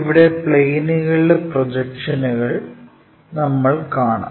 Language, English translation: Malayalam, Here, we are looking at Projections of planes